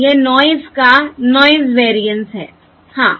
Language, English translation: Hindi, This is the noise variance